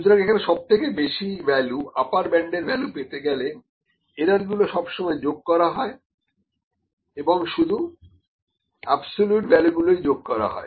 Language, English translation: Bengali, So, to see the maximum value to see the upper bound, the errors are always added and moreover the absolute values are added